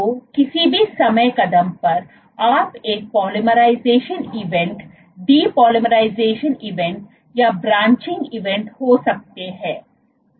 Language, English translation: Hindi, So, at any time step you can have a polymerization event, depolymerization event or a branching event